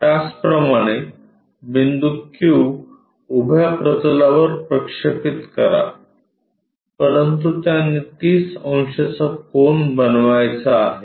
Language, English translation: Marathi, Similarly, project q point on to the vertical plane, but that supposed to make 30 degrees angle